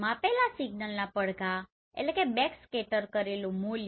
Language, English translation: Gujarati, The measured signal echoes means backscattered value